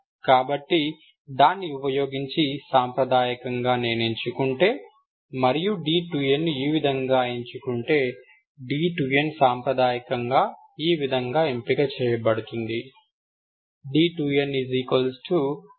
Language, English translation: Telugu, So using that, if I choose, conventionally this is our, if d 2 is chosen this way, d 2 is conventionally chosen this way